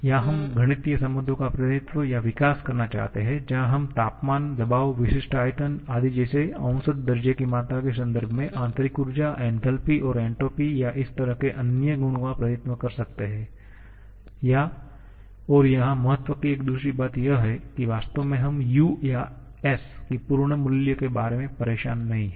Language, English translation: Hindi, Or we want to represent or develop mathematical relations where we can represent the internal energy and enthalpy and entropy or this kind of other properties in terms of the measurable quantities like temperature, pressure, specific volume, etc and a second thing of importance here is that we are truly speaking we are not bothered about the absolute value of U or S